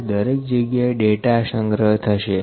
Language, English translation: Gujarati, So, each point data is collected